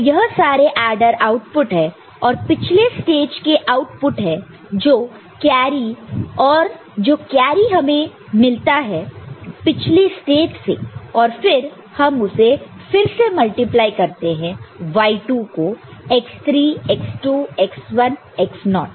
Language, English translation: Hindi, So, these are the adder output and output from the previous stage this is the carry that you get from the previous stage and then again you multiply it with what y2 with x3 x2 x1 x naught; y2 is 0 so it will be all 0